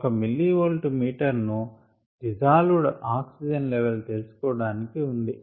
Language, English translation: Telugu, a millivolt meter was used to read the dissolved oxygen level